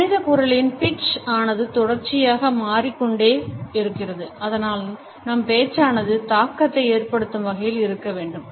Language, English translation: Tamil, The pitch of human voice is continuously variable and it is necessary to make our speech effective